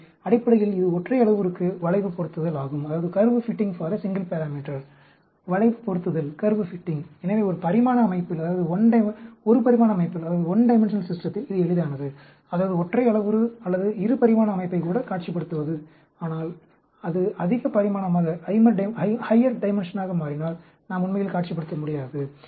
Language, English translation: Tamil, So, basically, it is a curve fitting for a single parameter, curve fitting; so, it is easy in a one dimensional system, that means, single parameter, or even a two dimension system to visualize; but, if it becomes higher dimension, we cannot really visualize